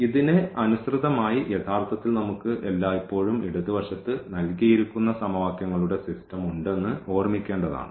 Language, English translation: Malayalam, We should always keep in mind that corresponding to this we have actually the system of equations you are given in the left